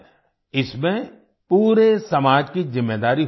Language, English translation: Hindi, It is the responsibility of the whole society